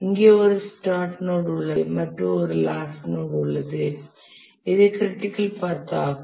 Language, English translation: Tamil, So there is a single start node, the single end node, and this is the critical path